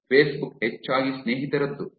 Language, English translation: Kannada, Facebook is mostly of friends